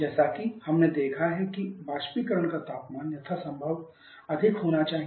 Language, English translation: Hindi, As we have seen the evaporation temperature has to be as it as possible